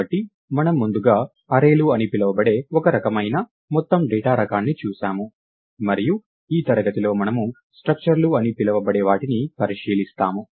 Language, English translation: Telugu, So, we looked at one kind of aggregate data type called arrays earlier and in this class we are going look at what are called structures